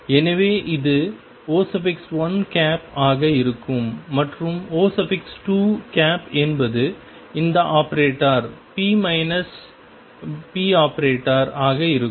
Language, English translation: Tamil, So, this is going to be O 1, and O 2 is going to be this operator p minus expectation value of p